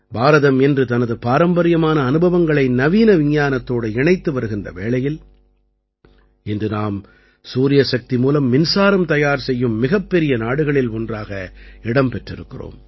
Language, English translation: Tamil, Today, India is combining its traditional experiences with modern science, that is why, today, we have become one of the largest countries to generate electricity from solar energy